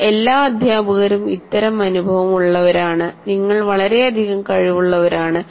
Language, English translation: Malayalam, I'm sure you all teachers do experience that they have tremendous capacity for that